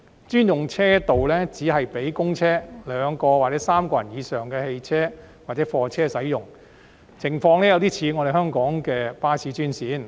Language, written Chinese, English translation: Cantonese, 專用車道只是讓公車、載有2人或3人以上的私家車或貨車使用，情況有點像香港的巴士專線。, The designated lanes are for the use of public buses private cars or lorries carrying two or more passengers . They resemble the bus lanes in Hong Kong